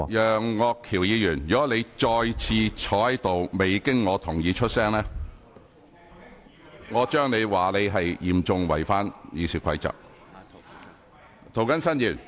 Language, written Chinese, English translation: Cantonese, 楊岳橋議員，如果你再次坐着未經我准許便發言，我會認為你是嚴重違反《議事規則》。, Mr Alvin YEUNG if you keep on speaking in your seat without my permission I will rule that you have seriously breached the Rules of Procedure